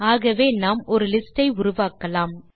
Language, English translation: Tamil, So let us create a list